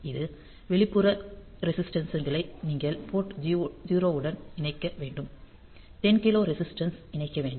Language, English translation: Tamil, So, you need to connect these external resistances to port 0; so, 10 kilo resistances are to be connected